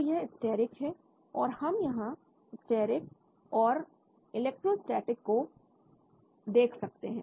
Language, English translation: Hindi, So this is steric, so we can look at steric and electrostatic here